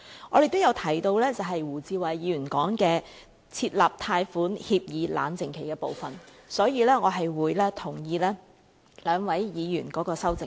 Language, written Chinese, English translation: Cantonese, 我們亦有提到胡志偉議員提出的設立貸款協議冷靜期的部分，所以我會贊同兩位議員的修正案。, We have also proposed the inclusion of a cooling - off period in loan agreements as proposed by Mr WU Chi - wai . Therefore we will support the amendments of these two Members